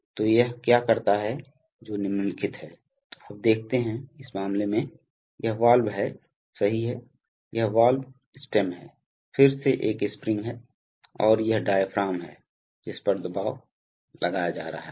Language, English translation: Hindi, So what it does is the following, so you see, that in this case, this is the valve right, this is the valve stem, again there is a spring and this is the diaphragm on which the pressure is being applied right